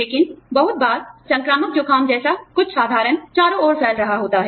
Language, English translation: Hindi, But, a lot of times, something as simple as, the flu, is going around